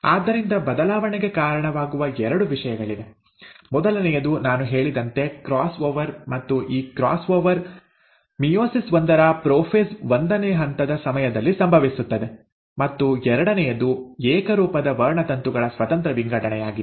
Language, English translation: Kannada, And so there are two things which leads to variation; one, as I mentioned, is the cross over, and this cross over happens during prophase one of meiosis one, and the second one is the independent assortment of the homologous chromosomes